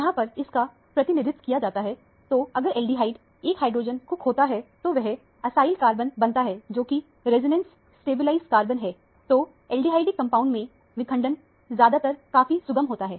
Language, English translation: Hindi, So, if the aldehyde loses a hydrogen, it forms an acyl cation which is a resonance stabilized cation, so that fragmentation is usually very fusile in aldehydic compounds